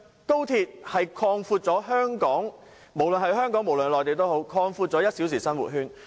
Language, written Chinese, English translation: Cantonese, 高鐵會為香港和內地擴闊1小時生活圈。, XRL will expand the one - hour living circle for both Hong Kong and the Mainland